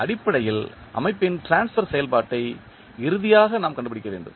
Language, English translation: Tamil, Basically, we need to find out the transfer function of the system finally